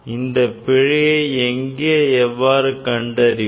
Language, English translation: Tamil, Where and how to find out this error